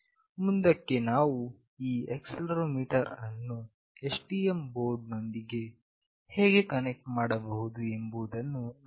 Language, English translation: Kannada, Next we will look into how we can connect this accelerometer with STM board